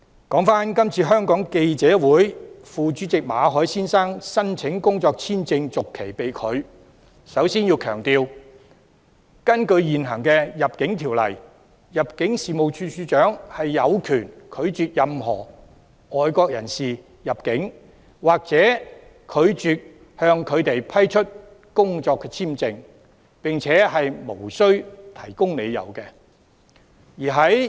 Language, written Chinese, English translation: Cantonese, 關於香港記者會副主席馬凱先生申請工作簽證續期被拒，我首先要強調，根據現行《入境條例》，入境事務處處長有權拒絕任何外國人士入境或拒絕向他們批出工作簽證，並且無須提供理由。, Regarding the refusal to renew the work visa of Mr Victor MALLET Vice President of FCC I must first emphasize that under the existing Immigration Ordinance the Director of Immigration has the right to refuse the entry of any foreigners or refuse to grant them work visa and no explanation is required to be given